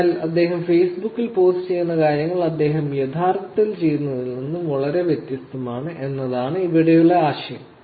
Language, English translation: Malayalam, So, the idea here is that the things that he is posting on Facebook is very different from what he is actually doing